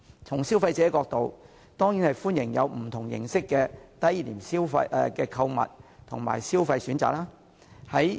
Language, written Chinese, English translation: Cantonese, 從消費者角度來看，他們當然歡迎不同形式的低廉購物和消費選擇。, From the perspective of consumers the wide range of affordable goods and shopping options available at bazaars will surely be welcomed